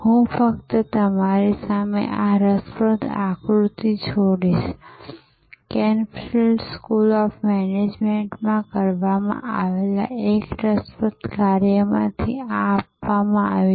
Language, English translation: Gujarati, I will only leave this interesting diagram in front of you; this is adopted from one of the interesting work done at Cranfield School of Management